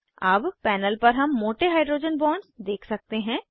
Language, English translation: Hindi, Now on the panel we can see thicker hydrogen bonds